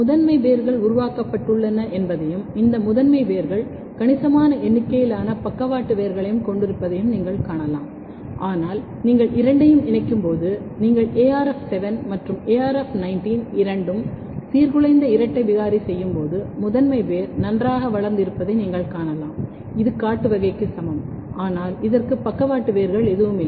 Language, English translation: Tamil, So, you can see that primary roots are developed and these primary roots has significant number of lateral roots, but when you combine both, when you make a double mutant where arf7 as well as arf19 both are disrupted, you can see that primary root is very well grown it is equivalent to wild type, but this does not have any lateral roots